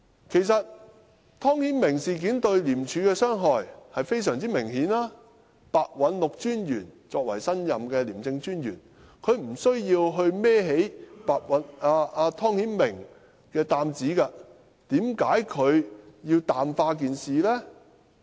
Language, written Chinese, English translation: Cantonese, 其實，湯顯明事件對廉署的傷害是非常明顯的，白韞六專員作為新任的廉政專員，他沒有需要去揹起湯顯明這擔子，為甚麼他要淡化事件呢？, Indeed the damages done by the Timothy TONG incident are most obvious . Taking over as the new ICAC Commissioner Simon PEH needed not bear this burden of Timothy TONG . Why should he water down this incident?